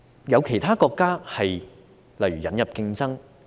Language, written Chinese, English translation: Cantonese, 有其他國家的做法是例如引入競爭。, Some countries have adopted such a practice as introducing competition